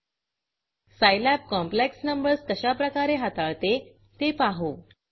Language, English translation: Marathi, Now, let us see how Scilab handles complex numbers